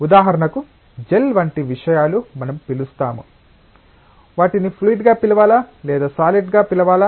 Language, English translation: Telugu, For example, gel like matters what we call them, should we call them fluid should we call them solids